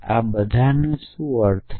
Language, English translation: Gujarati, What does all mean